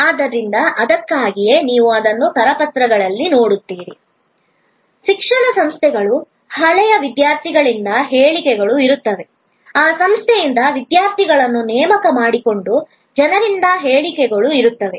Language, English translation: Kannada, So, that is why, you will see that in the brochures of educational institutes, there will be statements from alumni, there will be statements from people who have recruited students from that institute and so on